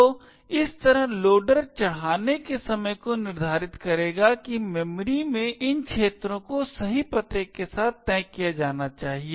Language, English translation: Hindi, So, in this way the loader would determine at the time of loading that these regions in memory have to be fixed with the correct address